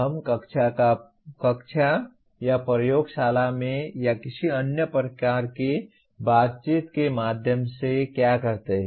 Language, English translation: Hindi, What we do in the classroom or laboratory or through any other type of interaction